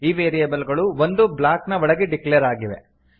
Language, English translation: Kannada, These variables are declared inside a block